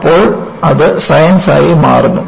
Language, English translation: Malayalam, Then, it becomes Science